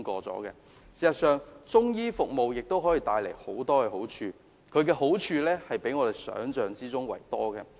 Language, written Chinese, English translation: Cantonese, 事實上，中醫服務可以帶來的好處，遠較我們想象的多。, In fact Chinese medicine services can bring more benefits to us than we can imagine